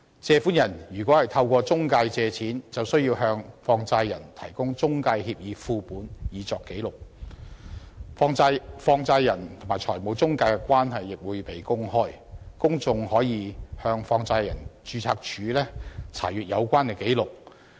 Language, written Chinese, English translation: Cantonese, 借款人如果透過中介公司借錢，就需要向放債人提供中介協議副本以作紀錄，放債人和中介公司的關係亦會被公開，公眾可以向放債人註冊處查閱有關紀錄。, Borrowers raising loans through intermediaries shall also provide money lenders with copies of the intermediaries agreements for record purposes . Moreover the relationship between money lenders and intermediaries shall be made open so that the public may inspect the relevant records at the Registrar of Money Lenders